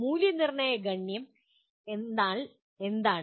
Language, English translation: Malayalam, Evaluation count means what